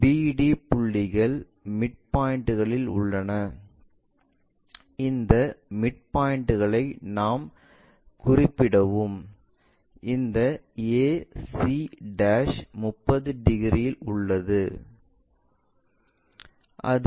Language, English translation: Tamil, The BD points are at midpoints and these midpoints we will locate it and this ac' makes 30 degrees